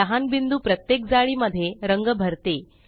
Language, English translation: Marathi, The small dots make up the color in each grid